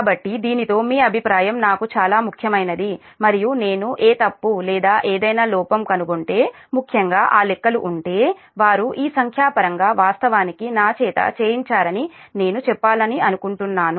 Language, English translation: Telugu, so with this your feedback will be more important for me and and what i would like to tell, that if you find any mistake or any error, particularly that calculations so that it was all this numericals actually have been done by me